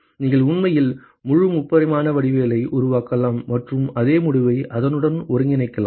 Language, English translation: Tamil, You can actually construct a whole three dimensional geometry and integrate with it exactly the same result